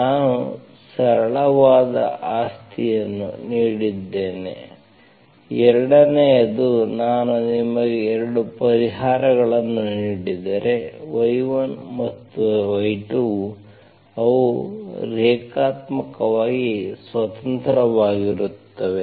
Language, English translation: Kannada, I have given simple property, 2nd one is if I give you 2 solutions, y1 and y2, they are linearly independent